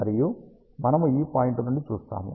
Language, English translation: Telugu, And we see that from this point